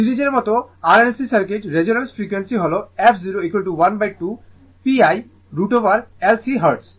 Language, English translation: Bengali, As in the series RLC circuit resonant frequency is f 0 is equal to 1 upon 2 pi root over LC hertz